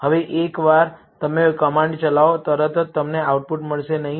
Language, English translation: Gujarati, Now, once you execute the command, you will not get the output immediately